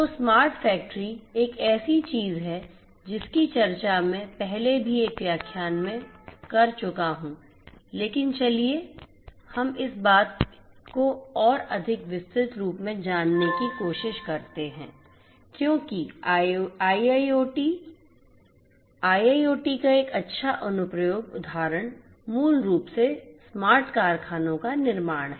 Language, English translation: Hindi, So, smart factory is something that I have already discussed in a previous lecture, but let us try to you know go over this particular thing in much more detailed because IIoT a good application you know instance of IIoT is basically the building of smart factories